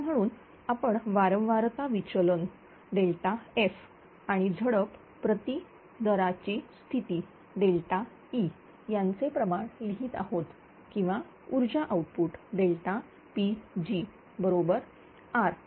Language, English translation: Marathi, Now, therefore here we are writing the ratio of frequency deviation delta F to change in valve per gate position that is delta E or power output delta P g is equal to R